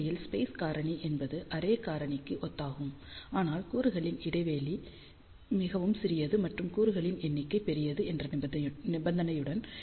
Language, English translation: Tamil, In fact, space factor is similar to array factor with the condition that the element spacing is very very small and number of elements are large